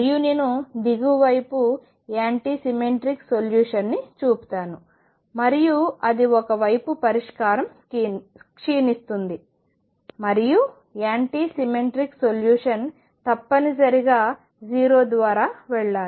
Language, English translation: Telugu, And let me show on the lower side anti symmetric solution and that would be the solution decaying on one side and anti symmetric solution has to go to 0 necessarily through 0